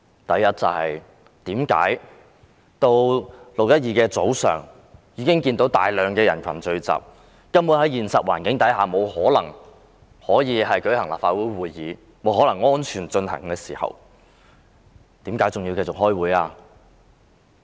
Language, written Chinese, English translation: Cantonese, 第一，他們在6月12日早上看到大量人群聚集，現實環境根本沒有可能讓立法會會議安全進行，為甚麼還要繼續開會？, First when they saw a big crowd of people gathering in the morning of 12 June making it impossible to hold the Council meeting in a safe manner why did they still continue to hold the meeting?